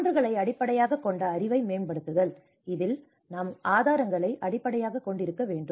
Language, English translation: Tamil, And improving the evidence based knowledge: where we have to rely on the evidence based